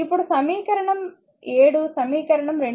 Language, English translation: Telugu, So, equation 2